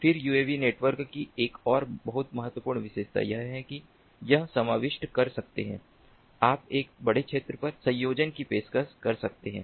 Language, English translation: Hindi, then, ah, another very important feature of uav network is that you can cover, you can offer connectivity over a larger area so you can have larger coverage of connectivity or sensing